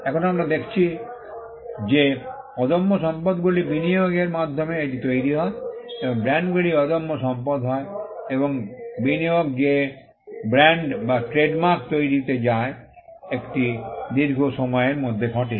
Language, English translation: Bengali, Now, we saw that intangible assets are created by an investment into that goes into it and brands are intangible assets and the investment that goes into creation of brands or trademarks happen over a long period of time